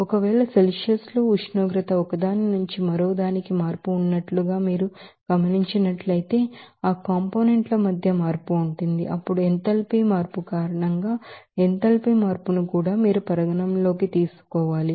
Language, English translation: Telugu, Again, if you are seeing that there is a change of temperature from one to another in Celsius that in between there will be a change of those components, then they are also you have to consider that enthalpy change because of enthalpy change